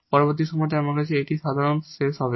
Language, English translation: Bengali, In the next problem, we have this is the last for today